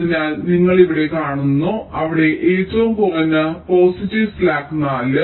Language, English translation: Malayalam, so you see here, there, the minimum positive slack is four